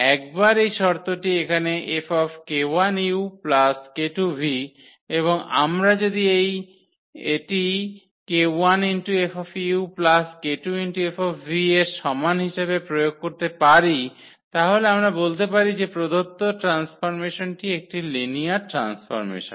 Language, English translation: Bengali, Once this condition here that k u plus k 2 v on this F and we apply if it is equal to k 1 F u and k 2 F v then we can call that the given transformation is a linear transformation